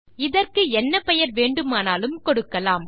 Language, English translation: Tamil, So we can give this any name